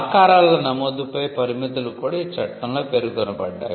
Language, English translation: Telugu, The limits on registration of shapes are also mentioned in the act